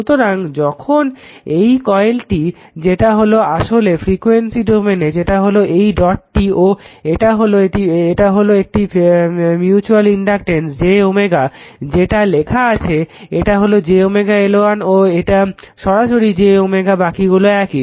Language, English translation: Bengali, So, whenever this is in this is what you coil and this is actually frequency domain that is this is 2 dot and this is a mutual reactance j omega M which is written here, this is j omega L 1 and this is directly j omega L 2rest are same right